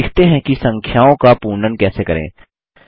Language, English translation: Hindi, Now, lets learn how to round off numbers